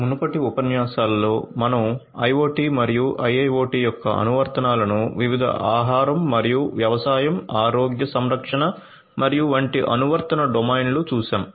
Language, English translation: Telugu, In the previous lectures, we have seen the applications of IoT and IIoT in different application domains such as food and agriculture, healthcare and so on